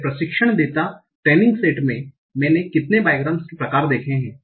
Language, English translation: Hindi, In my training data, how many biogram types I have seen